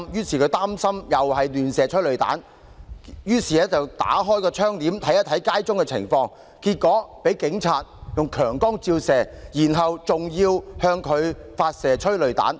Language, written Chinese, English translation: Cantonese, 他擔心再有催淚彈橫飛，拉開窗簾看看街上情況，結果警察向他照射強光，之後更向他發射催淚彈。, Feeling concerned that another round of flying tear gas was coming he drew back the curtains and took a look at the situation outside only to be subject to a beam of blinding light shone by policemen who then fired a round of tear gas at him